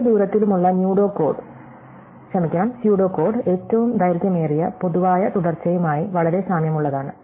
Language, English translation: Malayalam, So, the pseudo code for every distance is very similar to the longest common subsequence